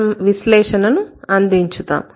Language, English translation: Telugu, We can provide an analysis